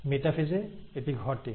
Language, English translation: Bengali, So that happens in metaphase